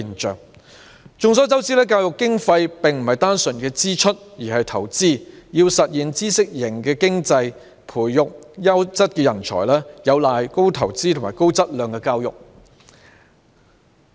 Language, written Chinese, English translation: Cantonese, 眾所周知，教育經費不是單純的支出而是投資，要實現知識型經濟、培育優質人才，有賴高投資和高質量的教育。, As we all know education funding is not simply expenditure but also investment . If we want to have a knowledge - based economy and to nurture quality talents we must invest heavily on high - quality education